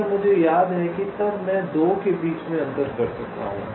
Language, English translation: Hindi, if i remember that, then i can distinguish between the two